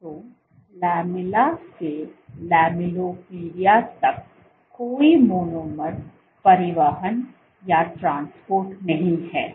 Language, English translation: Hindi, So, there are no monomer transport from the lamella to the lamellipodia